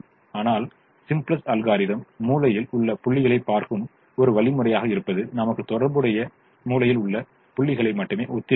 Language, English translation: Tamil, but simplex algorithm, being an algorithm that looks at corner points, will give us only the corresponding corner points